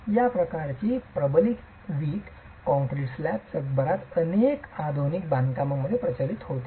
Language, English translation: Marathi, So, this sort of a reinforced brick concrete slab is something that is becoming prevalent in several modern constructions across the world